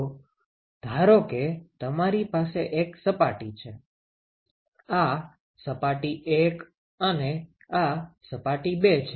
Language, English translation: Gujarati, So, supposing you have one surface, this surface 1 and you have surface 2 ok